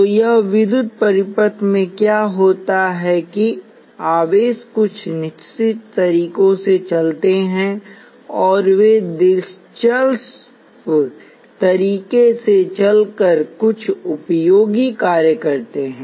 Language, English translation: Hindi, So what happens in electrical circuits is that charges move in certain ways and they move in interesting ways that carry out certain useful functions